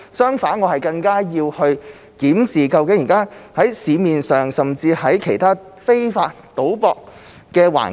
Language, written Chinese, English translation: Cantonese, 相反，我更要檢視現時市面上其他非法賭博的情況。, On the contrary it is necessary for me to review the situation of other types of illegal betting in the market